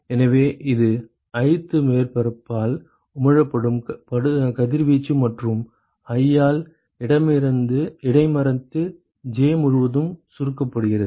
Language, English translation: Tamil, So this is the radiation that is emitted by jth surface and is intercepted by i summed over all j right